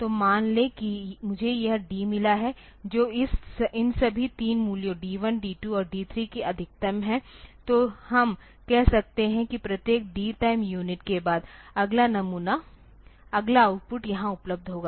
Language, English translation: Hindi, So, if suppose I have got this D which is the maximum of all these 3 values D 1, D 2 and D 3, then we can say that after every D time unit the next sample next output will be available here